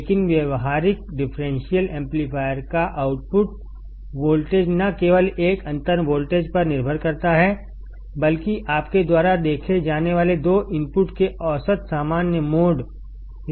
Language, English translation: Hindi, But the output voltage of the practical differential amplifier not only depends on a difference voltage, but also depends on the average common mode level of two inputs you see